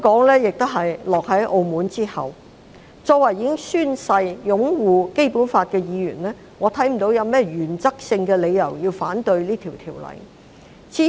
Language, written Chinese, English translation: Cantonese, 因此，作為已經宣誓擁護《基本法》的議員，我看不到有任何原則性的理由要反對這項《條例草案》。, Therefore I cannot see any reasons in principle for Members who have sworn to uphold the Basic Law to oppose the Bill